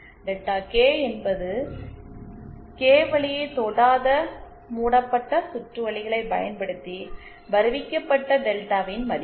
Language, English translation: Tamil, And delta K is thoseÉ is the value of delta using loops not touching the Kth path